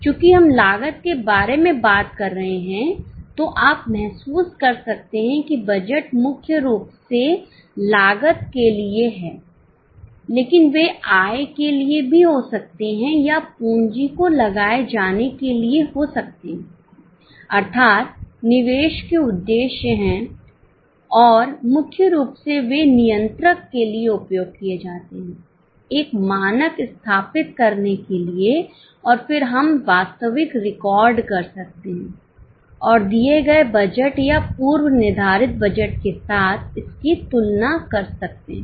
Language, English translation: Hindi, Since we are talking about costs, you may feel that budgets are mainly for cost, but they can also be for income or for employment of capital, that is investment purposes, and they are mainly used for control, for setting up a standard and then we can record the actual and compare it with the given budget or a preset budget